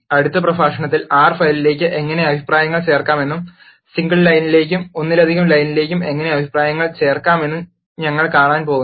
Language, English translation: Malayalam, In the next lecture, we are going to see how to add comments to the R file and how to add comments to the single line and multiple lines etc